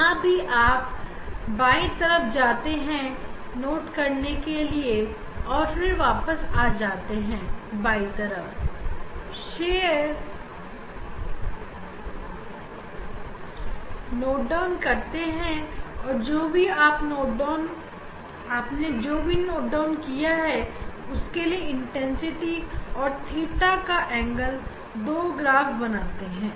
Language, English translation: Hindi, here also you go towards the left to note down and then again you come back to left and again note down for that you note down you will be to draw two graph intensity versus the angle theta